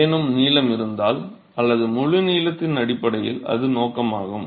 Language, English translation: Tamil, If there are any length or based on the length of the full play that is the objective